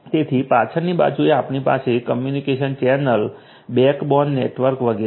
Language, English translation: Gujarati, So, at the backbone is what we have is the communication channel the backbone network etcetera